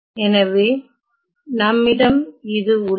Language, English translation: Tamil, So, I have the following